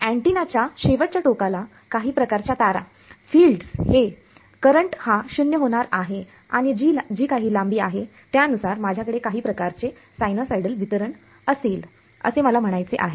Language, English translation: Marathi, So, at the end of the antenna sort of wires the field is going to the current is going to be 0 and depending on whatever length is I will have some kind of sinusoidal distribution over I mean that is